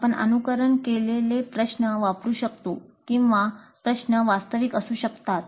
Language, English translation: Marathi, Can we use simulated problems or the problems must be the real ones